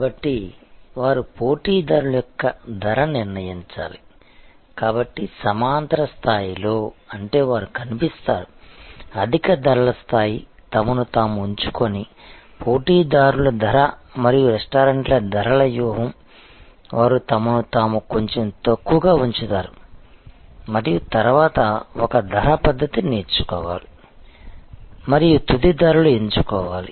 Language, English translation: Telugu, So, they have to therefore determine the pricing of competitor, so at the horizontal level; that means they appears, pricing of competitors who are positioning themselves at a higher price level and pricing strategy of restaurants, who are actually positioning themselves a little down on the scale and then, one has to select a pricing method and selected final price